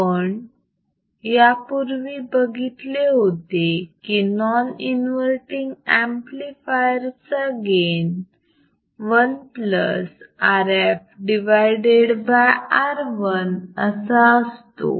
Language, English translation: Marathi, We have seen that earlier in the case of non inverting amplifier our gain is 1 plus R f by R 1